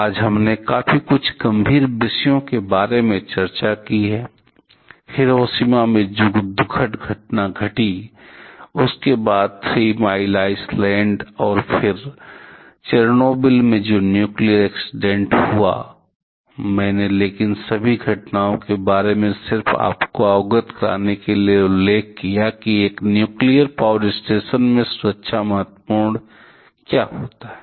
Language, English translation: Hindi, Today we have discussed about quite a few grim topics; the sad incident that happened in Hiroshima for and then the nuclear accidents in Three Mile Island and Chernobyl, but I mentioned about all these incidents just to make you aware about the importance of having safety in a nuclear power station